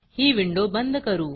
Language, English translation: Marathi, I will close this window